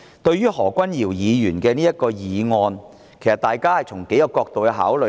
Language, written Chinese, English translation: Cantonese, 對於何君堯議員的議案，大家應該從數個角度考慮。, Regarding Dr Junius HOs motion Members should consider it from several perspectives